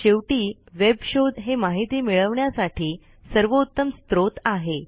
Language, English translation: Marathi, Finally web search could be the best source of information